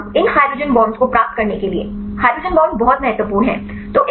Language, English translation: Hindi, At least for getting these hydrogen bonds; hydrogen bonds are very important